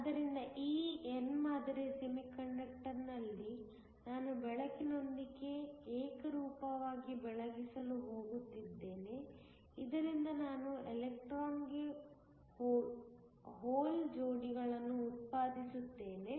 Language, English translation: Kannada, So, in this n type semiconductor I am going to Illuminate Uniformly, with light so that I generate electron hole pairs